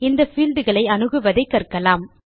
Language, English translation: Tamil, Now, we will learn how to access these fields